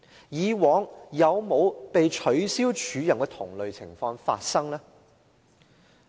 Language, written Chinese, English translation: Cantonese, 以往有否被取消署任的同類情況發生呢？, Were there similar cancellations of an acting appointment in the past?